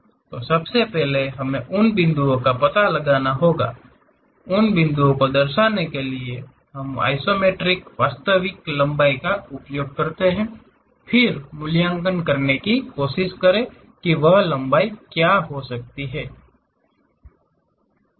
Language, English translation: Hindi, So, first we have to locate the points, from those points we use the relations isometric true length kind of connections; then try to evaluate what might be that length